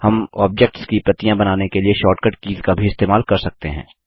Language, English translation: Hindi, We can also use short cut keys to make copies of objects